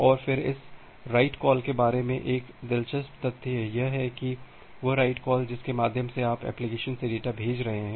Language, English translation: Hindi, And then there is another interesting fact is about this write call, the write call through which you are sending data from the application